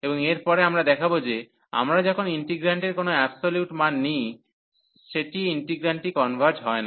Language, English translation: Bengali, And next, we will show that when we take the absolute value over the integrant that integrant does not converge